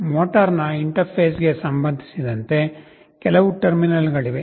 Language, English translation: Kannada, Regarding the interface of the motor, you see there are some terminals